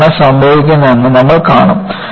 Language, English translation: Malayalam, We will see what happens